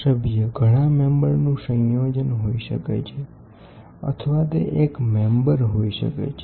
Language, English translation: Gujarati, This member can be a combination of several member or it can be a single member